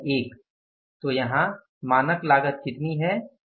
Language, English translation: Hindi, So, what is the standard cost here